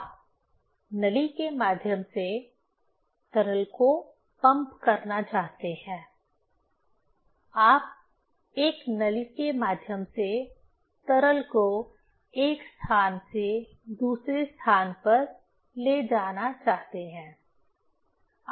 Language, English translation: Hindi, You want to pump the liquid through the pipe, you want to move liquid from one place to another place through a pipe